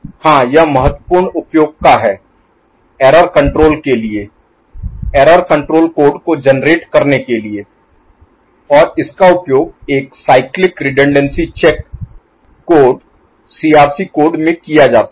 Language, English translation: Hindi, Yes it is of important use in error control as error control code generation, and this is used in what is called a Cyclic Redundancy Check code, CRC code ok